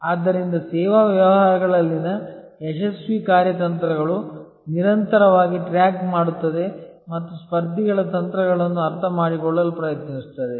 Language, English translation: Kannada, So, successful strategies in the services businesses therefore, will constantly track and try to understand the competitors strategies